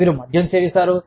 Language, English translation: Telugu, You start drinking